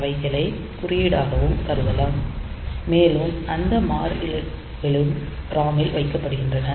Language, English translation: Tamil, So, they can also be treated as code and those constants are also kept in the ROM ok